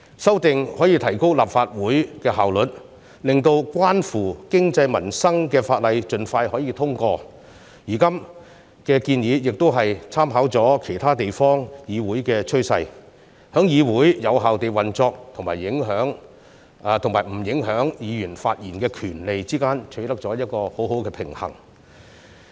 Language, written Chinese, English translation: Cantonese, 修訂可以提高立法會的效率，令關乎經濟民生的法例可以盡快通過，現在的建議亦已參考其他地方議會的趨勢，在議會有效運作，以及不影響議員發言權利之間取得很好的平衡。, The amendments can enhance the efficiency of the Legislative Council and expedite the passage of livelihood - related laws . The current proposals have taken into account the trend of the legislatures in other places . They therefore strike a good balance in that they can ensure the effective operation of the legislature and while not affecting Members right to speak